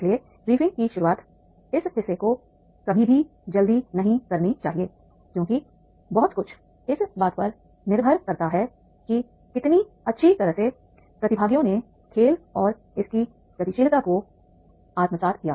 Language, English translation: Hindi, So, introduction of the briefing, this part should never be hurried through as a lot depends on how well the participants assimilate the game in its dynamic